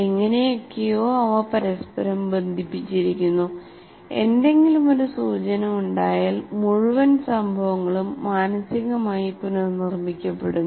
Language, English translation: Malayalam, Somehow they are connected to each other and if anyone is like one cue comes, then the entire event somehow mentally gets recreated